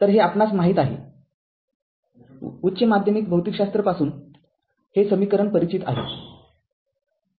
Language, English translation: Marathi, So, this is known to us this equation you are familiar with these from your higher secondary physics